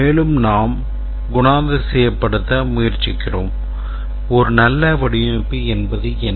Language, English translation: Tamil, And then we are trying to characterize what is a good design